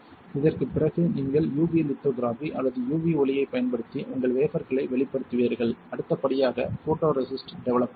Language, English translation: Tamil, After this you will expose your wafer using UV lithography or UV light right and next step would be photoresist developer